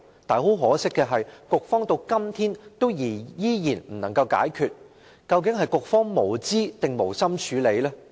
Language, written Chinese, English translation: Cantonese, 但很可惜的是，局方到今天依然未能解決，究竟是局方無知，抑或無心處理？, Yet regrettably OFCA has still not resolved it today . Is OFCA actually ignorant or is it not mindful of addressing it at all?